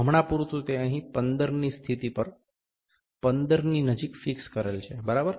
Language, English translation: Gujarati, For instance, it is fixed at the position 15 here close to 15, ok